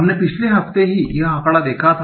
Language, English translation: Hindi, So we had seen this figure in the last week itself